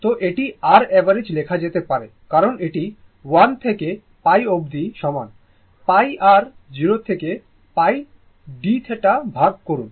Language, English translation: Bengali, So, this can be written as your I average is equal to is your one to pi because, divide this by pi and 0 to pi i d theta right